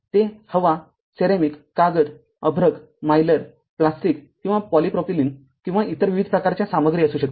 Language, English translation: Marathi, It can be air, ceramic, paper, mica, Mylar, polyester, or polypropylene, or a variety of other materials right